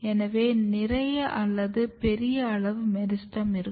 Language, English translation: Tamil, So, there is more or bigger meristem size